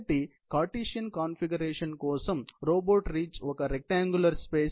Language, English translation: Telugu, So, for a Cartesian configuration, the reach is a rectangular space